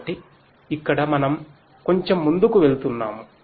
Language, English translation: Telugu, So, here we are going little bit further